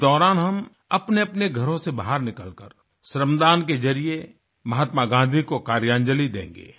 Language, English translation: Hindi, During this period, all of us will move out of home, donating toil & sweat through 'Shramdaan', as a 'Karyanjali' to Mahatma Gandhi